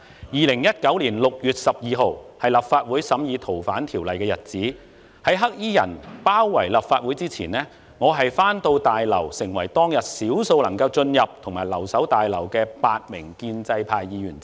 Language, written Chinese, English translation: Cantonese, 2019年6月12日是立法會審議《逃犯條例》的日子，在"黑衣人"包圍立法會之前，我回到大樓，成為當日少數能夠進入及留守大樓的8名建制派議員之一。, The Council was to scrutinize the Fugitive Offenders Ordinance on 12 June 2019 . I arrived at the Complex before it was besieged by some black - clad people one of the eight pro - establishment Members who managed to get in and stay